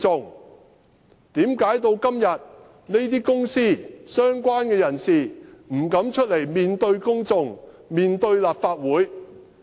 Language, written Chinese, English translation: Cantonese, 為甚麼到了今天，這些公司、相關人士仍不敢出來面對公眾、面對立法會？, Why are the companies and the related persons still unwilling to come out and face the public and the Legislative Council?